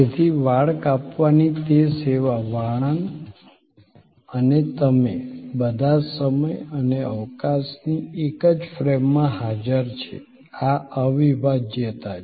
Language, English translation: Gujarati, So, that service of haircut, the barber and you, all present in the same frame of time and space, this is the inseparability